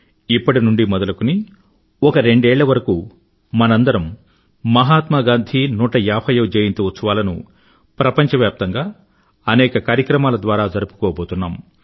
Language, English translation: Telugu, For two years from now on, we are going to organise various programmes throughout the world on the 150th birth anniversary of Mahatma Gandhi